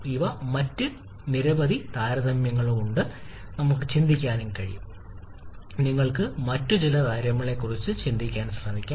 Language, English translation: Malayalam, These are several other comparisons; also we can think of, you can also try to think of a few other comparisons